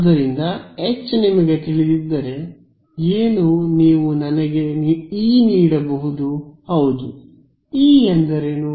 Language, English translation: Kannada, So, what is if I know H can you give me E yes what is E